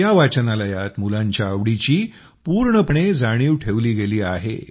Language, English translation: Marathi, In this library, the choice of the children has also been taken full care of